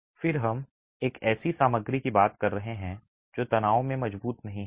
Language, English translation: Hindi, Again we are talking of a material which is not strong in tension